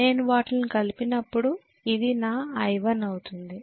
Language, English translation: Telugu, So when I add them together this is going to be my I1